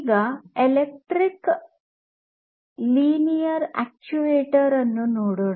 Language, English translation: Kannada, Now, let us look at this electric linear actuator